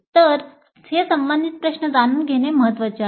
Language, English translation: Marathi, So it is important to know these two related questions